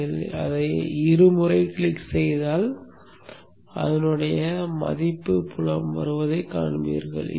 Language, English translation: Tamil, When you double click on that you will see that coming up here in the value field